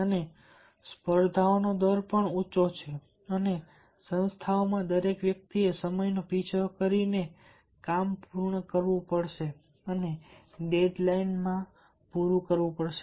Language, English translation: Gujarati, and there is also high rate of competitions and in organizations everybody has to chase the time and complete the work and meet the dead line